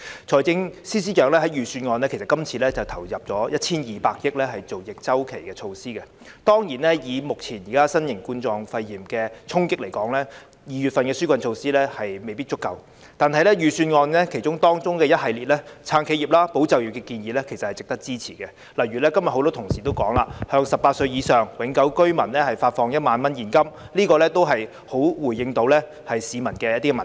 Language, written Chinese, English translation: Cantonese, 財政司司長在今次預算案中投入 1,200 億元推出逆周期措施，當然，以目前新型冠狀肺炎的衝擊來說 ，2 月份提出的紓困措施未必足夠，但預算案中一系列"撐企業、保就業"的建議，其實是值得支持的，例如今天很多同事也提到，向18歲或以上永久性居民發放1萬元現金，這也能夠回應市民的民意。, In this Budget the Financial Secretary has injected 120 billion for taking forward counter - cyclical measures . Certainly judging from the impact currently posed by novel coronavirus pneumonia the relief measures proposed in February may not be adequate but the series of proposals made in the Budget to support enterprises and safeguard jobs do warrant support . For example as many colleagues also mentioned today the disbursement of a 10,000 cash payout to permanent residents aged 18 or above can address the public sentiments